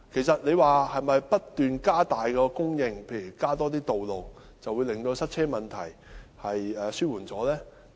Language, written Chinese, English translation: Cantonese, 是否不斷增加供應配套，例如增加道路，便可以紓緩塞車問題呢？, Can the problem of traffic congestion be relieved simply by continuous increase in the supply of infrastructural facilities such as roads?